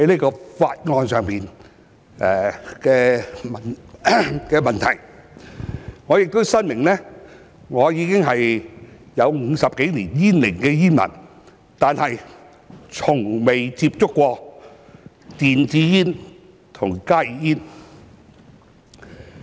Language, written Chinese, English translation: Cantonese, 我亦申明，我是已有50多年煙齡的煙民，但我從未接觸過電子煙及加熱煙。, Also I have to declare that I have been a smoker for more than 50 years but I have never tried e - cigarettes and HTPs